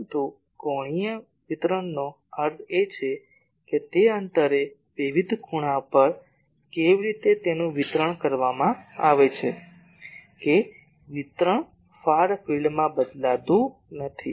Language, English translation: Gujarati, But angular distribution that means, at that distance at different angles how it is distributed that distribution does not change in the far field